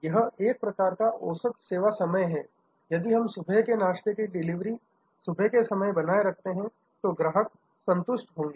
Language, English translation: Hindi, This is the kind of average service time, if we maintain for breakfast delivery in the morning, the customer will be happy